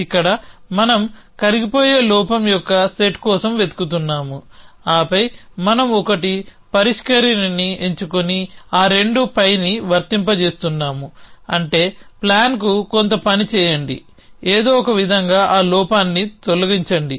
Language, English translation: Telugu, So, this so here we have looking for the set of is the dissolvers the flaw then we are picking 1 resolver and applying that 2 pi which means little do something to the plan remove that flaw in some way